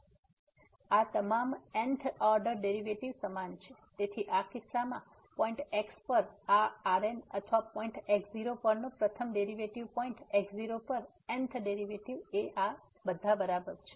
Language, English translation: Gujarati, So, all these th order derivative are equal, so in this case therefore this at point or the first derivative at point naught the th derivative at point naught all are equal to 0